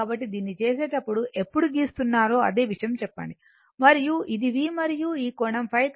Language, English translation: Telugu, So, same thing say if when you are drawing when we are making this one I and this is my V and this angle is phi, right